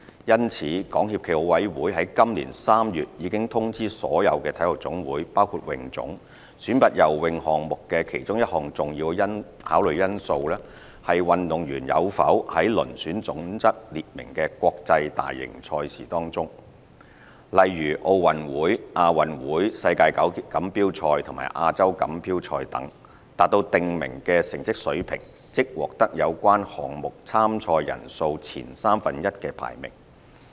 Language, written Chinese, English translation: Cantonese, 因此，港協暨奧委會在今年3月已通知所有體育總會選拔游泳項目的其中一項重要考慮因素，是運動員有否在遴選準則列明的國際大型賽事中，例如奧運會、亞運會、世錦賽和亞洲錦標賽等，達到訂明的成績水平，即獲得有關項目參賽人數前三分之一的排名。, SFOC had accordingly informed all NSAs including HKASA in March 2018 that the athletes attainment of the specified levels of performance that is top one - third ranking in related events at the specified major international competitions such as the Olympic Games Asian Games World Championships and Asian Championships would be a major factor for selection